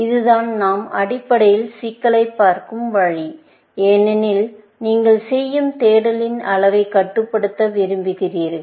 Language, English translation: Tamil, That is the way we will look at the problem, essentially, because you want to control the amount of search that you do